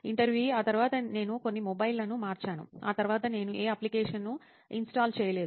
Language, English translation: Telugu, Then after that, like I have changed few mobiles that and then after that I did not install any apps